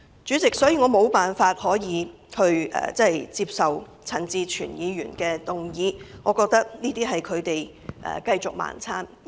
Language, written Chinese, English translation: Cantonese, 主席，我無法接受陳志全議員的議案，這是他們一再"盲撐"的表現。, President I cannot support Mr CHAN Chi - chuens motion which only demonstrates their continuous stone - blind support